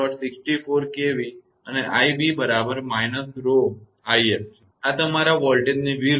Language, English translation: Gujarati, 64 kV and i b is equal to minus rho into i f; just opposite of your voltage